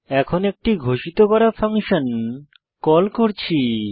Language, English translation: Bengali, This is the declaration definition of the function